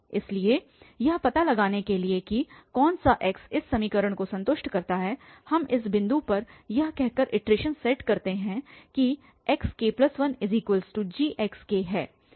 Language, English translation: Hindi, So, to search which x satisfies this equation we set up the iteration at this point by saying that this is xk plus 1 and gx k